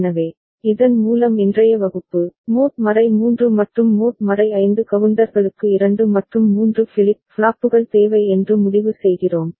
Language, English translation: Tamil, So, with this we conclude today’s class, mod 3 and mod 5 counters we have seen require 2 and 3 flip flops